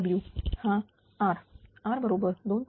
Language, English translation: Marathi, So, R is equal to 2